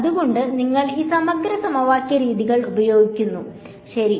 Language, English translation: Malayalam, So, that is why you will take use these integral equation methods ok